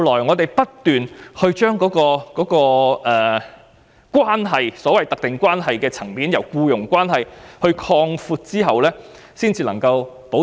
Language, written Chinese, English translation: Cantonese, 我們其後不斷從特定關係的層面擴闊僱傭關係，這類員工才獲得保障。, After repeated efforts were made to broaden the employment relationship on the basis of specified relationship protection is now provided to these employees as well